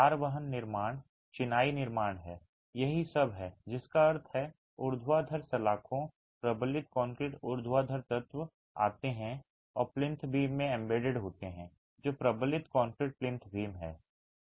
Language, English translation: Hindi, That is all which means the vertical bars, the reinforced concrete vertical elements come and are embedded in the plinth beam which is a reinforced concrete plinth beam